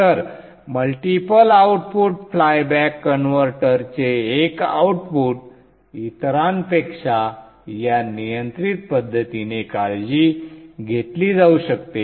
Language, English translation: Marathi, So one output of the multi output playback converter can be taken care of in this control manner